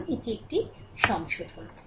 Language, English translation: Bengali, So, this is correction only right